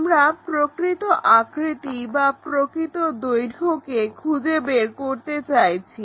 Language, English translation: Bengali, And the true shape or true length we would like to find